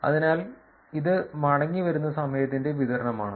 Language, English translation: Malayalam, So, this is distribution of the returning time